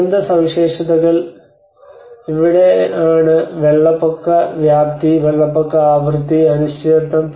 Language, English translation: Malayalam, Disaster characteristics: this is where the flood magnitude, flood frequency, and uncertainties